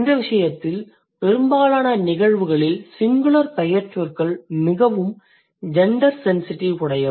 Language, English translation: Tamil, So, in case of Hindi in most of the cases you see that the singular nouns are extremely gender sensitive